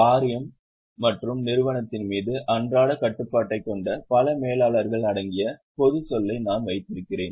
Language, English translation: Tamil, I have put the general term, it includes the board and also many other managers who have day to day control over the company